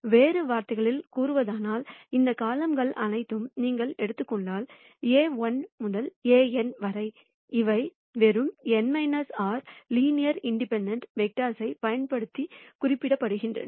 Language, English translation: Tamil, In other words, if you take all of these columns, A1 to An; these can be represented using just n minus r linearly independent vectors